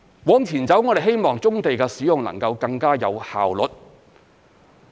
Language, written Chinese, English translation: Cantonese, 往前走，我們希望棕地的使用能夠更加有效率。, Going forward we hope that brownfield sites will be used more efficiently